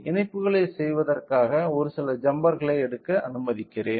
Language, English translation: Tamil, So, let me take few jumpers in order to do the connections